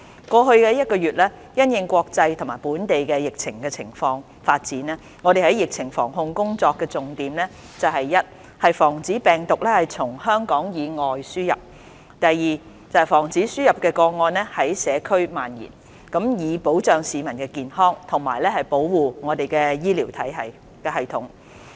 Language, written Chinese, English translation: Cantonese, 過去一個多月，因應國際及本地疫情發展，我們在疫情防控工作的重點是：第一，防止病毒從香港以外地方輸入；第二，防止輸入個案在社區蔓延，以保障市民的健康及保護我們的醫療系統。, During the past month or so in view of the global and local epidemic development the focus of our prevention and control work is first to prevent the virus from being imported from outside of Hong Kong; and second to prevent imported cases from spreading in the community so as to safeguard the health of the public and protect our health system